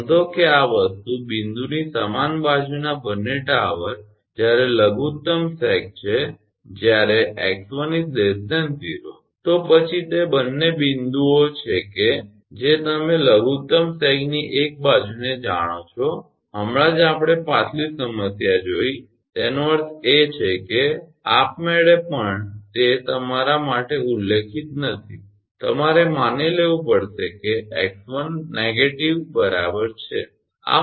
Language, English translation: Gujarati, Note that both the towers on the same side of the this thing point of minimum sag when x 1 less than equal less than 0, then it is mentioned that both the points are the you know one side of that minimum sag just now we saw the previous problem; that means, automatically even it is not mentioning you have to you have to assume that x 1 is equal to negative